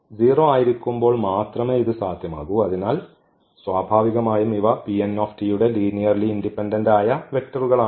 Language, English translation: Malayalam, So, they are linearly independent vectors so, these are linearly independent vectors